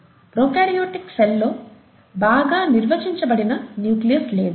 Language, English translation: Telugu, There is no well defined nucleus in a prokaryotic cell